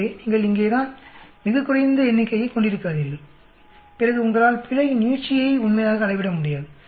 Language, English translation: Tamil, So do not have a very small number here then you are not able to really the quantify extent of error